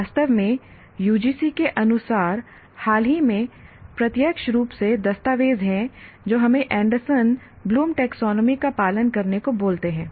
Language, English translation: Hindi, In fact, the UGC in its recent document directly names that we need to follow Anderson Bloom taxonomy